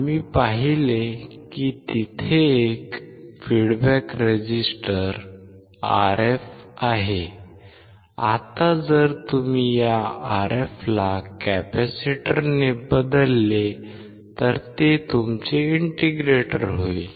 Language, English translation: Marathi, We have seen that there is a feedback resistor Rf; Now, if you replace this Rf by a capacitor it becomes your integrator